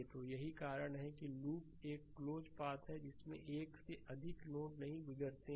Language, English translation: Hindi, So, that is why a loop is a close path with no node pass more than once